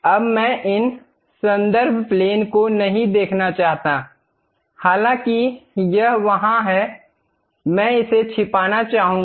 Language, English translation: Hindi, Now, I do not want to really see this reference plane though it is there; I would like to hide it